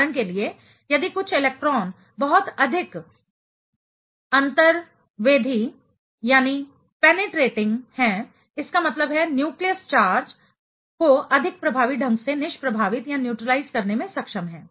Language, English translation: Hindi, For example, if some electrons are penetrating too much; that means, are able to neutralize the nucleus charge more effectively